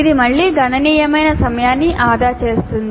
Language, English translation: Telugu, This would again save considerable time